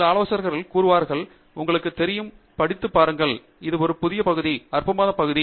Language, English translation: Tamil, Some advisors, would say, you know, go read, this is a new area, exciting area